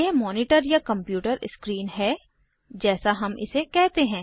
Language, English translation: Hindi, This is a monitor or the computer screen, as we call it